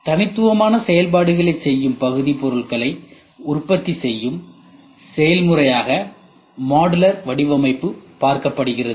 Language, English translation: Tamil, Modular design can be viewed as a process of producing units that perform discrete functions